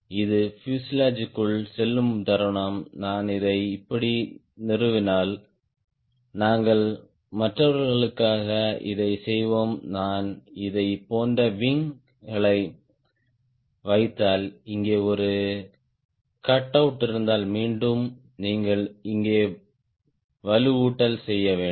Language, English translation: Tamil, the moment it goes inside the fuselage, if i install it like this, which we will be doing for other, if i put the wing like this and if there is a cutout here is a cutout here right, then again you have to do the enforcement here, enforcement here